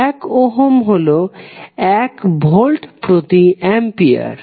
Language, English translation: Bengali, You will say 1 Ohm is nothing but 1 Volt per Ampere